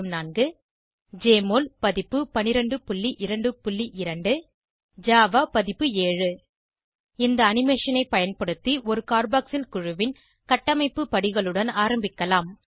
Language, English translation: Tamil, 12.04 Jmol version 12.2.2 Java version 7 Lets go through the steps on how to build a carboxyl group using this animation